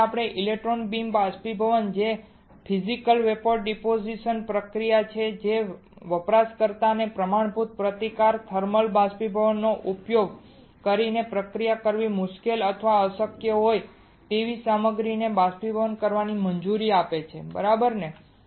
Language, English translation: Gujarati, So, electron beam evaporation is a Physical Vapor Deposition process that allows the user to evaporate the materials that are difficult or impossible to process using standard resistive thermal evaporation right